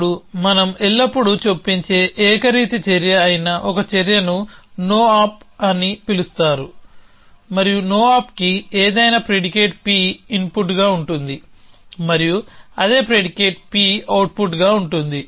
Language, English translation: Telugu, Now, one action which is a uniform action which we always insert is called a no op and a no op has any predicate P as an input and the same predicate P as an output